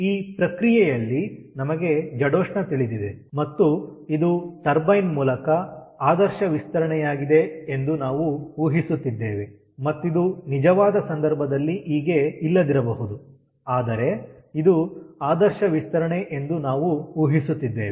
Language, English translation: Kannada, so at this process, we know the entropy and we are assuming that this is an ideal expansion through the turbine, which may not be in the actual case, but we are assuming that it is an ideal expansion